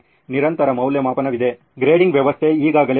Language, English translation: Kannada, Continuous evaluation is there, grading system is already there